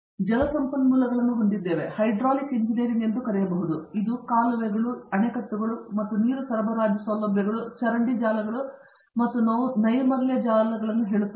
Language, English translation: Kannada, We have Water Resources or what can be also called Hydraulic engineering, which deals with facilities like canals, dams and water supply as well as say sewage networks and sanitary networks